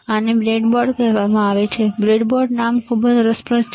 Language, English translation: Gujarati, This is called breadboard, breadboard name is very interesting right